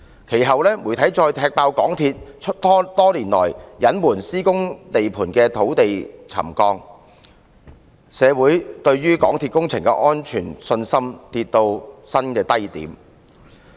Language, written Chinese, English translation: Cantonese, 其後，媒體再踢爆港鐵公司多年來隱瞞施工地盤的土地沉降問題，令社會對港鐵工程安全的信心跌至新低點。, The media subsequently exposed that MTRCL had been concealing for many years the problems of ground settlement at the construction sites thus undermining the communitys confidence in the safety of MTRCLs projects and causing the same to drop to a record low